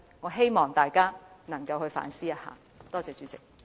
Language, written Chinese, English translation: Cantonese, 我希望大家反思一下，多謝代理主席。, I hope Members will reflect on this . Thank you Deputy President